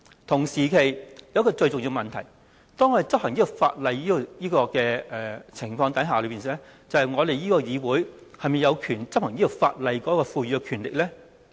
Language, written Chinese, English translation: Cantonese, 同時，另一個最重要的問題是，在執行這兩項法例方面，究竟立法會是否有權力執行該等法例呢？, Meanwhile there is another question which is most important . Concerning the enforcement of these two ordinances does the Legislative Council have the power to enforce them?